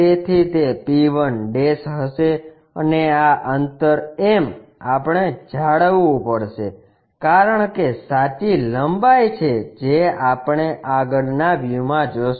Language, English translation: Gujarati, So, it will be p1' and this distance m, we have to maintain because there is a true length what we will see in the frontal view